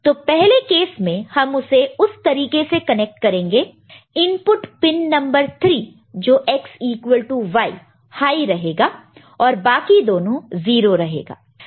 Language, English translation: Hindi, So, the first case we will be connecting in this manner, right that is the input pin number 3 that is X equal to Y in that will be high and other two will be 0